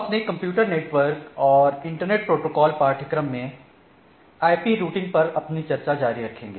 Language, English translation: Hindi, So, we will continue our discussion on IP Routing in our Computer Networks and Internet Protocol course